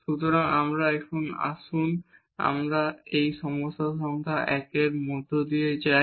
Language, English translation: Bengali, So, now let us just go through this problem number 1